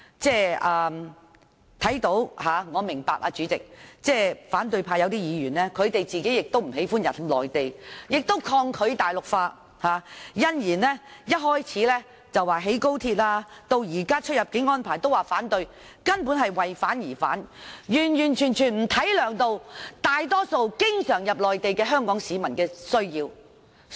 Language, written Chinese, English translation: Cantonese, 主席，我明白有些反對派議員不喜歡到內地，亦抗拒大陸化，因而反對興建高鐵及現在提出的出入境安排，但他們根本是"為反而反"，沒有顧及經常前往內地的大多數香港市民的需要。, President I understand that some opposition Members do not like to travel to the Mainland and they resist Mainlandization so they oppose the construction of XRL and the proposed immigration arrangements . However they opposed simply for the sake of opposing and they have not taken into account the needs of most Hong Kong people who frequently travel to the Mainland